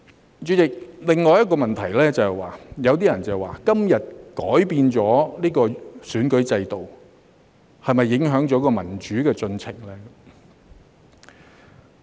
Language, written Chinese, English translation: Cantonese, 代理主席，另一個問題是，有些人說今天改變選舉制度會否影響民主進程呢？, Deputy President another question is some people query whether modifying the electoral system today will affect the development progress of democracy